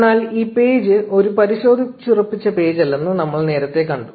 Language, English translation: Malayalam, But we saw earlier that this page is not a verified page